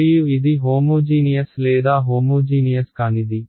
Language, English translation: Telugu, And is it homogeneous or non homogeneous